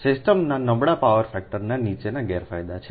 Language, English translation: Gujarati, the poor power factor of the system has the following disadvantages